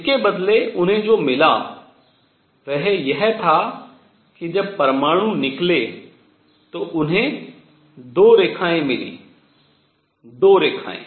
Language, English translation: Hindi, What they got instead was they got 2 lines, 2 lines, when the atoms came out